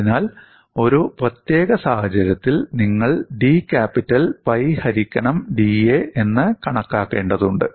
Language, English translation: Malayalam, So, you will have to calculate the term d capital by da for a given situation